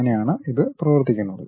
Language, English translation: Malayalam, That is the way it works